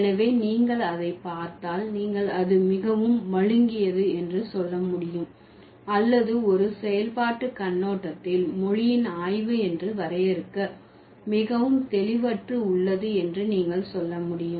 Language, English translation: Tamil, So, if you look at that, so then you can say it's too blunt or you can say it's too vague to define this as a study of language from a functional perspective